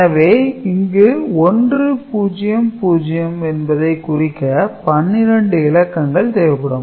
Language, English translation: Tamil, So, this is your 12 digits will be required to represent 100